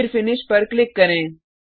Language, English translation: Hindi, Then click on Finish